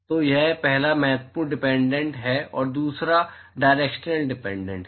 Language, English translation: Hindi, So, this is the first important dependent and the second one is the directional dependence